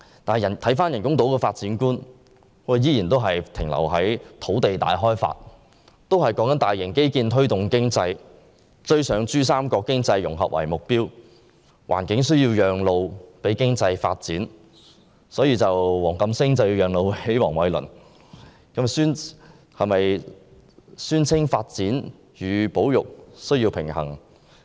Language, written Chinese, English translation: Cantonese, 但是，人工島的發展觀卻依然停留在土地大開發，利用大型基建推動經濟，以追上珠三角經濟融合為目標，令環境需要讓路予經濟發展——所以黃錦星需要讓路予黃偉綸——但宣稱發展與保育需要平衡。, However the concept of artificial islands is still related to large - scale land development constructing mega infrastructures to boost the economy with the purpose of catching up with the economic integration in the Greater Bay Area . As a result the environment needs to give way to economic development―meaning that WONG Kam - sing has to give way to Michael WONG . Yet they claim that there is a need to balance development and conservation